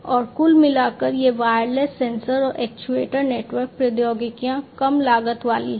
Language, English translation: Hindi, And overall this wireless sensor and actuator network technologies are low cost right